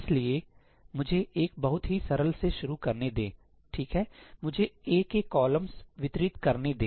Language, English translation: Hindi, So, let me start with very simple one , let me distribute the columns of A